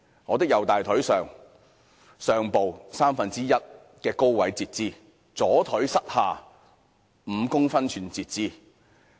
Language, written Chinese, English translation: Cantonese, 我的右大腿上部三分之一高位截肢，左腿膝下5公分處截肢。, My right leg was amputated one third down my thigh and my left leg 5 cm down the knee